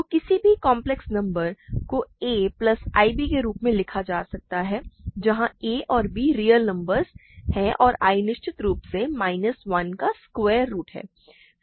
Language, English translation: Hindi, So, any complex number can be written as a plus i b, where a and b are real numbers and i of course is a square root of minus 1